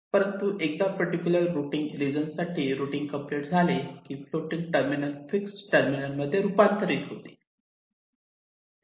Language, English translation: Marathi, but once the routing for that particular routing region is complete, this floating terminals will become fixed terminals